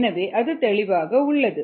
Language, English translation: Tamil, so that is clear